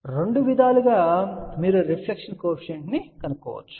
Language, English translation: Telugu, So, both ways you can find the reflection coefficient